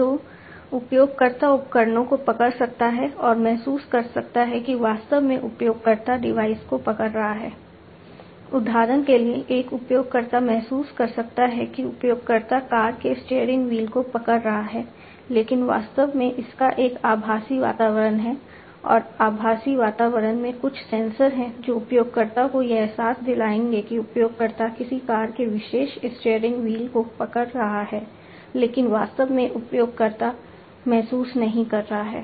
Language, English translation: Hindi, So, user can hold devices and feel that actually the user is holding the device; for example, a user might feel that the user is holding the steering wheel of a car, but the actually its a virtual environment and in immulated environment, there are certain sensors which will give the feeling to the user that the user is holding a particular steering wheel of the car, but actually the user is not feeling